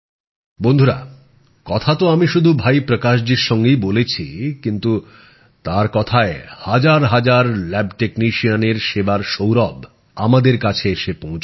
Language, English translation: Bengali, Friends, I may have conversed with Bhai Prakash ji but in way, through his words, the fragrance of service rendered by thousands of lab technicians is reaching us